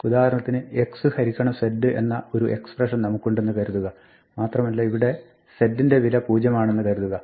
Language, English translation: Malayalam, For instance we might have an expression like x divided by z, and z has a value zero